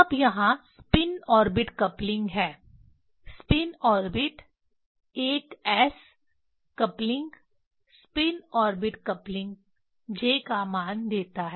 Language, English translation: Hindi, Now there are spin orbit coupling spin orbit ls coupling spin orbit coupling gives j value